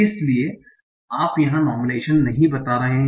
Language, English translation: Hindi, So you are not doing normalization here